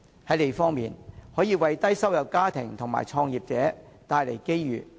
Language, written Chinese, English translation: Cantonese, 在"利"方面，墟市可為低收入家庭及創業者帶來機遇。, In terms of advantages bazaars can bring opportunities for low - income families and business starters